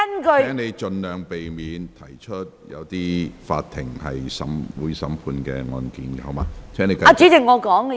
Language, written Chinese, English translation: Cantonese, 蔣議員，請盡量避免提及有待法庭審判的案件。, Dr CHIANG please avoid as far as possible mentioning cases awaiting trial